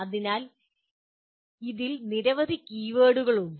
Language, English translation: Malayalam, So there are several keywords in this